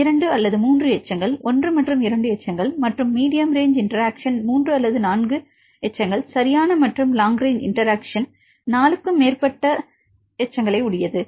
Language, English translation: Tamil, 2 or 3 residues right the 1 and 2 residues and the medium range interactions 3 or 4 residues right and long range interactions some more and more than 4 residues right in this programs